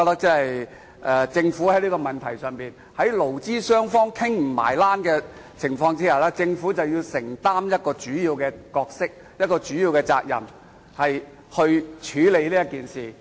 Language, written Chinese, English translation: Cantonese, 就這問題而言，在勞資雙方無法達成共識的情況下，政府必須擔當主要角色並承擔主要責任，處理此事。, When employees and employers are unable to reach a consensus on the issue the Government must play a leading role and assume major responsibilities to address the issue